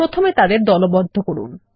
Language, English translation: Bengali, First lets group them